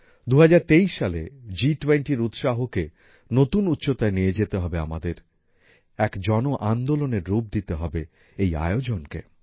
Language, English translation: Bengali, In the year 2023, we have to take the enthusiasm of G20 to new heights; make this event a mass movement